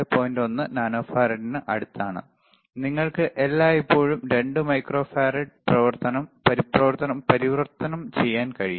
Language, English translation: Malayalam, 1 nano farad, you can always convert 2 microfarad if you want it is very easy